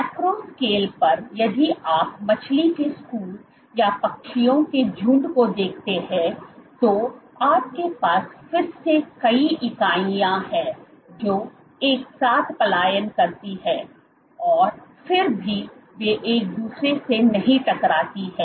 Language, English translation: Hindi, At the macro scale if you look at school of fish or a flock of birds, so you again you have multiple entities which migrate together yet they do not clash into each other